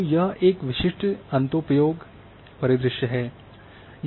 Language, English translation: Hindi, So, this is a typical end use scenario